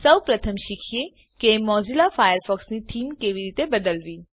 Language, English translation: Gujarati, Let us first learn how to change the Theme of Mozilla Firefox